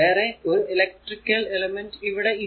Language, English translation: Malayalam, So, no other electrical element is there